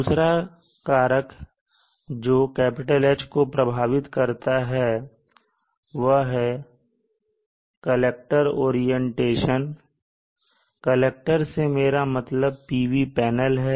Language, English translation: Hindi, Another factor that affects significantly this value of H is the collector orientation by collector; I mean here the solar PV panels